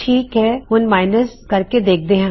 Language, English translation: Punjabi, Okay now lets try minus